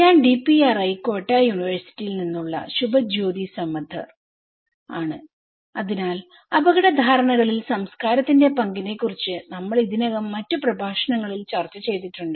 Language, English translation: Malayalam, I am Subhajyoti Samaddar from DPRI, Kyoto University so, we already discussed in other lectures about the role of culture in risk perceptions